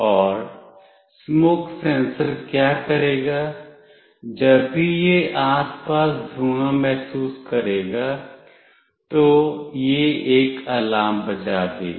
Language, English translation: Hindi, And what the smoke sensor will do, whenever it senses smoke in the surrounding, it will make an alarm